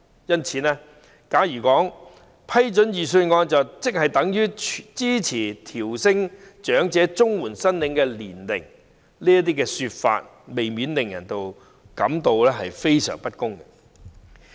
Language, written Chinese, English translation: Cantonese, 因此，假如說批准預算案便等於支持提高長者綜援的合資格年齡，難免令人感到非常不公平。, Hence if it is said that our approval of the budget stands for our support for raising the eligible age for elderly CSSA it is hard not to feel terribly unfair